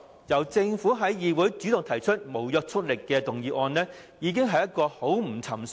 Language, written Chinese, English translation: Cantonese, 由政府主動提出不擬具立法效力的議案，舉動已經很不尋常。, The Government has made a highly unusual move by taking the initiative to move a motion not intended to have legislative effect